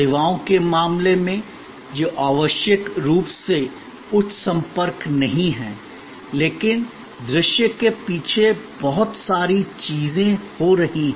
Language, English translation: Hindi, In case of services which are not necessarily high contact, but a lot of things are happening behind the scene